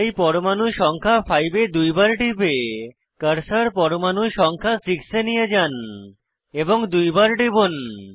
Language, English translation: Bengali, So, double click on atom 5 and bring the cursor to atom 6 and double click on it